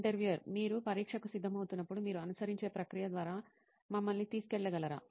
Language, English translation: Telugu, Can you just take us through what process you follow when you are preparing for an exam